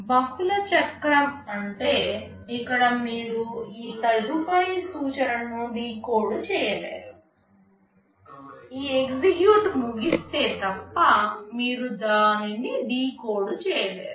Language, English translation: Telugu, Multiple cycle means here you cannot decode this next instruction, unless this execute is over you cannot decode it